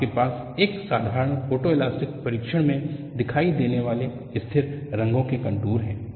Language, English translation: Hindi, We have contours of constant color appearing in a simple photoelastic test